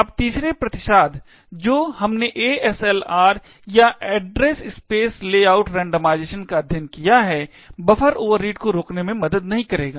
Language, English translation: Hindi, Now, the third countermeasure that we have studied the ASLR or the address space layout randomization will also not help to prevent the buffer overreads